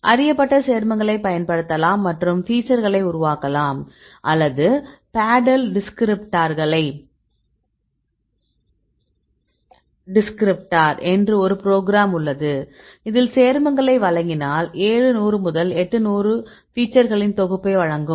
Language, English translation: Tamil, So, either you can use the known compounds and develop the features or there is one a program called paddle descriptor; this will provide if you give the compound, this will provide a set of features they put seven hundred to eight hundred features will give